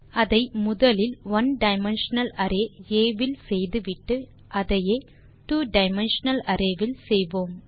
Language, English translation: Tamil, Also, let us first do it with the one dimensional array A, and then do the same thing with the two dimensional array